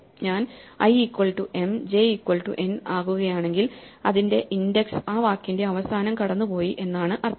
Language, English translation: Malayalam, So, if i becomes m or j becomes n it means that that corresponding index has gone beyond the end of the word right